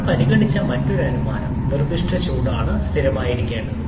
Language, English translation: Malayalam, And another assumption that we have considered that is the specific heats to be constant